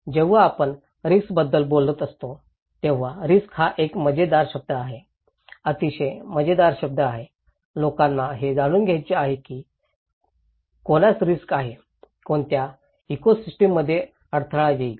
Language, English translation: Marathi, When we are talking about risk, risk is a very funny word, very very funny word; people want to know that who is at risk, what ecosystem will be hampered